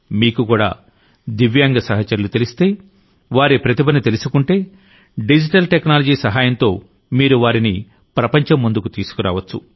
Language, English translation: Telugu, If you also know a Divyang friend, know their talent, then with the help of digital technology, you can bring them to the fore in front of the world